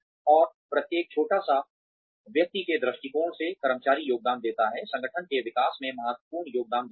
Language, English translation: Hindi, And, every little bit, from the perspective of individual, employees contributes, adds up and contributes significantly, to the development of the organization